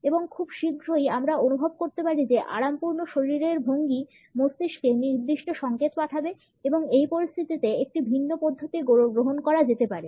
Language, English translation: Bengali, And very soon we may feel that the relaxed body posture would also be sending certain signals to the brain and a different approach can be taken up in this situation